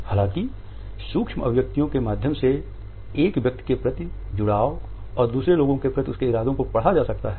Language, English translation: Hindi, However, in the micro expressions one could read their association and their intentions towards the other people